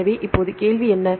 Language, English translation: Tamil, So, now, what is the question